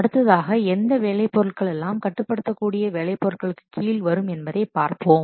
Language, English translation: Tamil, Then let's see what work products can be coming under which work products may come under controllable work products